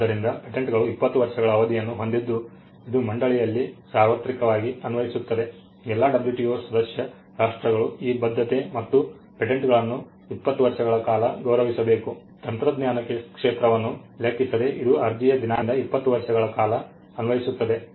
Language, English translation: Kannada, So, this is 1 explanation, so patents have a 20 year term which is universally applicable across the board all the WTO member countries have to honor that commitment and grand patents for 20 years regardless of the field of technology it is twenty years from the date of application